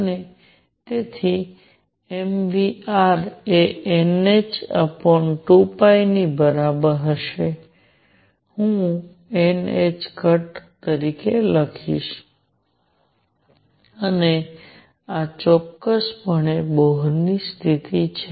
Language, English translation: Gujarati, And therefore, m v r would be equal to n h over 2 pi which I will write as n h cross, and this is precisely the Bohr condition